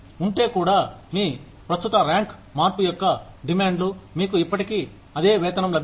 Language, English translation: Telugu, Even, if the demands of your current rank change, you will still get the same pay